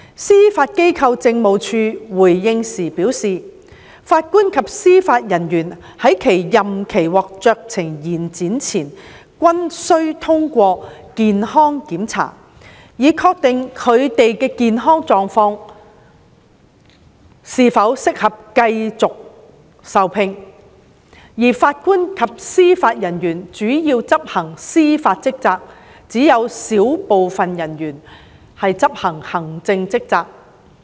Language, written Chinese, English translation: Cantonese, 司法機構政務處回應時表示，法官及司法人員在其任期獲酌情延展前均須通過健康檢查，以確定他們的健康狀況是否適合繼續受聘，而法官及司法人員主要執行司法職責，只有小部分人員會執行行政職責。, The Judiciary Administration has advised in response that before a discretionary extension of term of office is granted the JJOs concerned will be required to pass a medical examination to ascertain that they are medically fit for continued employment . Besides JJOs mainly perform judicial duties and only a small number of them are performing administrative duties